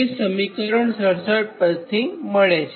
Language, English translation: Gujarati, and from equation sixty seven right